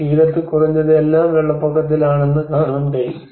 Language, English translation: Malayalam, And on the banks at least you can see that the whole thing is in the inundation